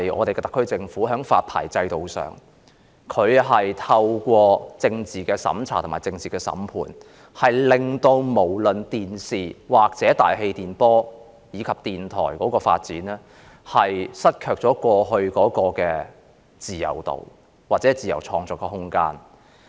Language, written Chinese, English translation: Cantonese, 特區政府在發牌制度上透過政治審查、政治審判，令電視、大氣電波或電台的發展也失卻了過去的自由度和自由創作的空間。, The SAR Government politically scrutinizes television broadcasters and airwaves or radio broadcasters through the licensing system . As a result they no longer enjoy the freedom in development and the freedom of creation they used to enjoy